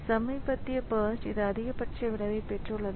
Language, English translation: Tamil, So, the recent burst so it has got the maximum effect